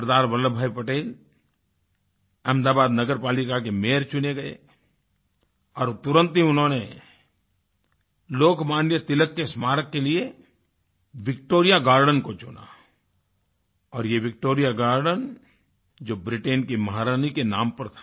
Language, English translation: Hindi, Sardar Vallabh Bhai Patel was elected the Mayor of Ahmedabad municipal corporation and he immediately selected Victoria Garden as a venue for Lok Manya Tilak's memorial and this was the very Victoria Garden which was named after the British Queen